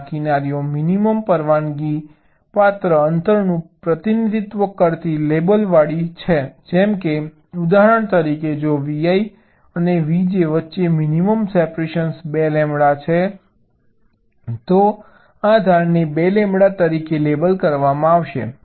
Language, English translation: Gujarati, they have a vertical edge if they share a horizontal boundary and these edges are labeled representing the minimum allowable distance, like, for example, if the minimum separation between v i and v j is two lambda, this edge will be labeled as two lambda